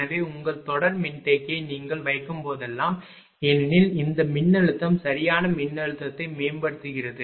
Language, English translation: Tamil, So, whenever whenever you put that ah your series capacitor; because that voltage is improving right voltage is improving